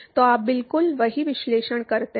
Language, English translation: Hindi, So, you do exactly the same analysis